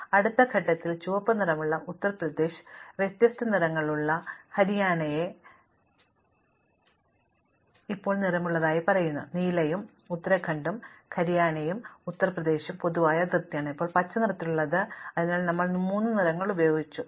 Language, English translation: Malayalam, So, in the next step having colored Uttar Pradesh red, we have now colored Haryana with different color say blue and Uttrakhand which has a common boundary with both Haryana and Uttar Pradesh is now colored green, so we have used three colors